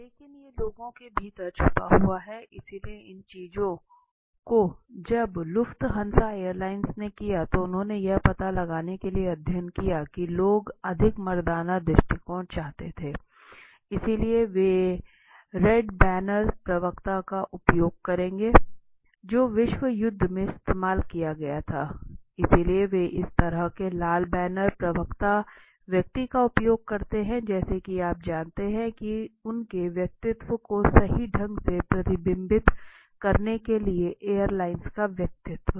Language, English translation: Hindi, But this is something very highly hidden within the people right, so these things when Lufthansa airlines they did it, they did a study to find out they understood that people they what they did was Lufthansa airlines understood this that people wanted more masculine approach so they use the red barons spokes person which was used in the world war II right, II or I I am not sure but in the world war so they use this kind of a red baron spokes person as a you know to reflect their personality right, of the airlines personality